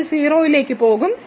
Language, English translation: Malayalam, So, this will go to 0